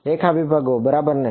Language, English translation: Gujarati, Line segments right